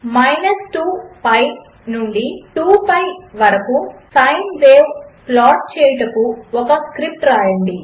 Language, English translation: Telugu, Write a script to plot a sine wave from minus two pi to two pi